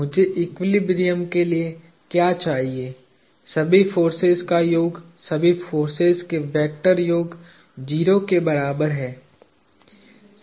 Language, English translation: Hindi, So, what I require for equilibrium, sum of all forces, vector sum of all forces is equal to 0